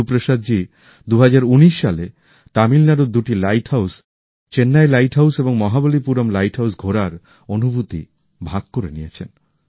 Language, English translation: Bengali, Guru Prasad ji has shared experiences of his travel in 2019 to two light houses Chennai light house and Mahabalipuram light house